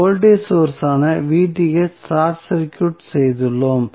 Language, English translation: Tamil, So, we have short circuited the voltage source Vth